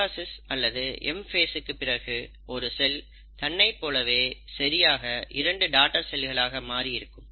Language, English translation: Tamil, So what happens is, after the mitosis or the M phase, you find that the single cell becomes two exact copies as the daughter cells